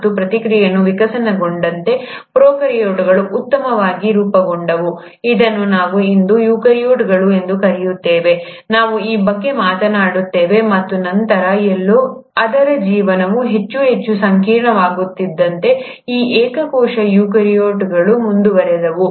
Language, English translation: Kannada, And as a process evolved, the prokaryotes ended up becoming well formed, which is what we call today as eukaryotes, we’ll talk about this, and then somewhere, as it's life became more and more complex, these single cell eukaryotes went on to become multi cellular eukaryotes, plants, animals, and then finally, the humans